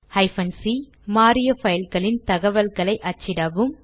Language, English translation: Tamil, c#160: Print information about files that are changed